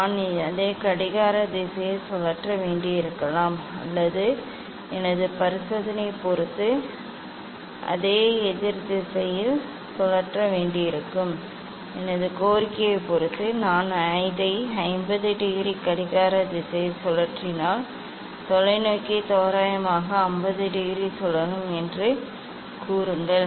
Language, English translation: Tamil, I may need to rotate it clockwise or I may need to rotate it anticlockwise depending on my experiment, depending on my demand if I rotate it clockwise by 50 degree say telescope is rotated by 50 degree approximately